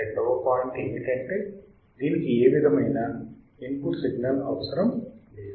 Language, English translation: Telugu, Second point it will not require or it does not require any input signal